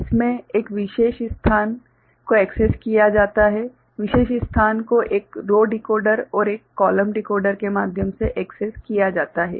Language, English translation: Hindi, In this, a particular location is accessed, particular location is accessed through a row decoder and a column decoder ok